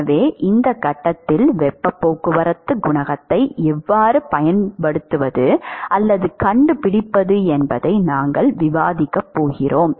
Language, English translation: Tamil, So, that is the whole aspect that we going to discuss how to find out the heat transport coefficient in this phase